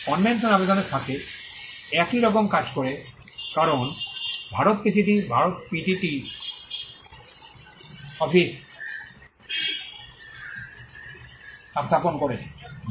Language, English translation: Bengali, Works very similar to the convention application because, India is now PCT has its PCT office set up in India